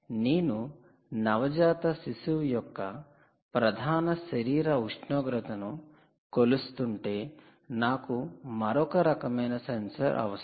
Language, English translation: Telugu, if you are measuring core body temperature of a neonate, you need another type of sensor